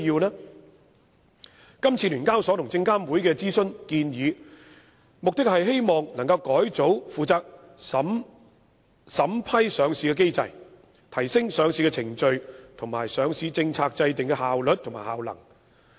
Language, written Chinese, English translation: Cantonese, 香港聯合交易所有限公司和證監會這次的諮詢建議，目的是希望改組負責審批上市的機制，提升上市程序和上市政策制訂的效率和效能。, The consultation proposals put forth by The Stock Exchange of Hong Kong Limited SEHK and SFC this time around aim to reform the mechanism for vetting and approving listing applications and also to enhance the efficiency and effectiveness of the listing process as well as listing policy formulation